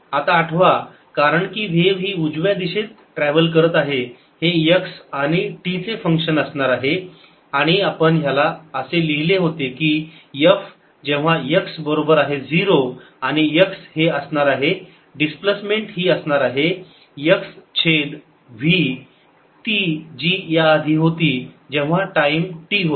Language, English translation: Marathi, now, recall, since the wave is travelling to the right, this is going to be a function of x and t and we had written this as f at x equals zero, at x is s is going to be